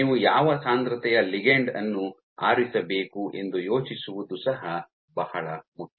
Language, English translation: Kannada, So, this is also very important to think off as to what concentration of ligand that you should choose